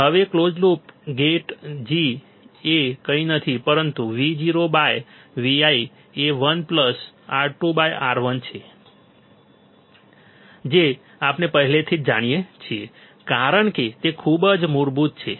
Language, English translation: Gujarati, Now, closed loop gain G is nothing but Vo by Vi is 1 plus R 2 by R 1 that we already do know as it is very basic